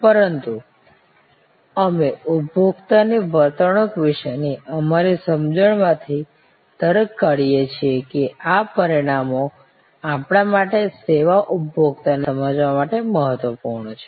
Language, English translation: Gujarati, But, we are extracting from our understanding of consumer behavior, those dimensions which are important for us to understand a services consumer